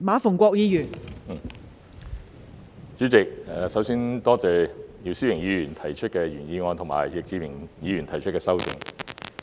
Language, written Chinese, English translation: Cantonese, 代理主席，首先感謝姚思榮議員提出的原議案，以及易志明議員提出的修正案。, Deputy President before all else I thank Mr YIU Si - wing for his original motion and Mr Frankie YICK for his amendment